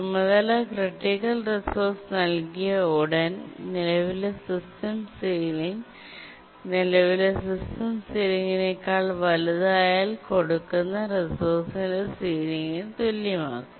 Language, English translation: Malayalam, And as I was saying that as soon as a task is granted the critical resource, the current system sealing is made equal to the sealing of the resource that is granted if the sealing of the resource is greater than the current system ceiling